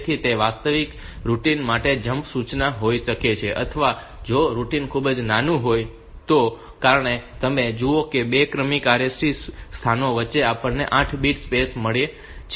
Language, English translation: Gujarati, So, it may be a jump instruction to the actual routine or if the routine is very small as you see that between two successive RST locations